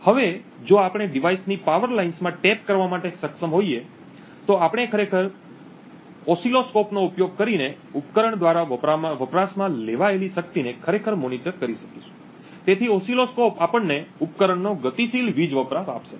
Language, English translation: Gujarati, Now if we are able to tap into the power lines of the device, we would be able to actually monitor the power consumed by the device using an oscilloscope, so the oscilloscope will give us the dynamic power consumption of the device